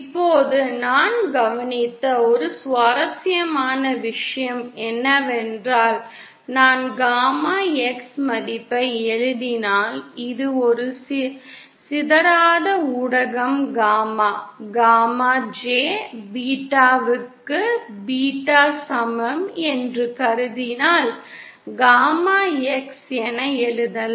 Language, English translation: Tamil, Now one interesting thing that we observed if I write the gamma X value now assuming this is a non dispersive media gamma is equal to jbeta then we can write gamma X is equal to gamma L raised to 2jbeta d